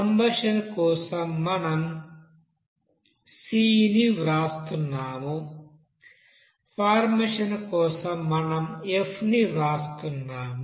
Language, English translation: Telugu, For combustion we are writing c, whereas for formation we are writing f